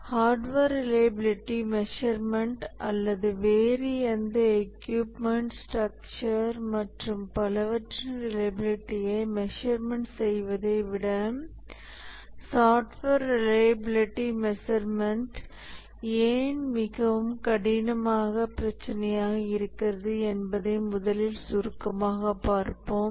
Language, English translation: Tamil, We will first briefly look at why software reliability measurement is a much harder problem than hardware reliability measurement or measurement of the reliability of any other equipment, structure and so on